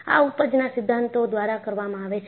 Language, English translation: Gujarati, This is done by yield theories